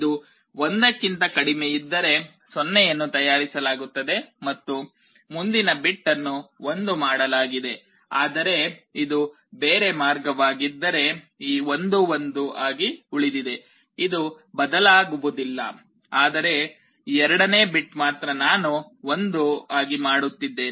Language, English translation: Kannada, If it is less than this 1 is made 0 and the next bit is made 1, but if it is the other way round this 1 remains 1, I do not change, but the second bit only I am making 1